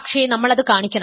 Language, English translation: Malayalam, We need to show